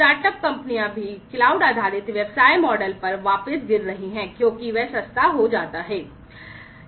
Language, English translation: Hindi, Startup companies are also falling back on the cloud based business models, because that becomes cheaper, that becomes cheaper